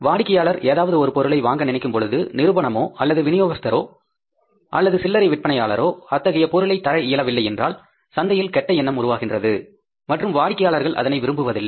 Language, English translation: Tamil, If anything, the customer wants to buy and if the companies or any distributor or retailer is not able to provide their product, then it creates a bad impression in the market and customers don't like it